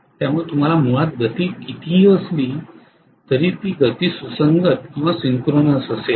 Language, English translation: Marathi, So you are going to have basically the speed to be at synchronous speed no matter what